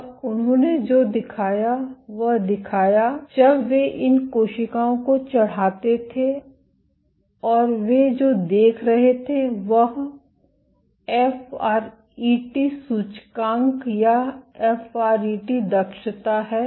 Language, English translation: Hindi, And what they showed what they showed was when they plated these cells and what they were looking at is the FRET index or the FRET efficiency